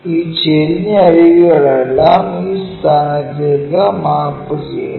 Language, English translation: Malayalam, All these slant edges maps to this point